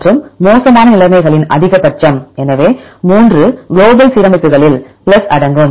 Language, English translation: Tamil, And maximum of the poor conditions, so 3 include in global alignments plus